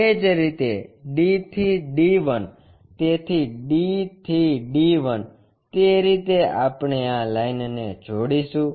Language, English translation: Gujarati, Similarly, D to D1 so D to D 1, that way we join these lines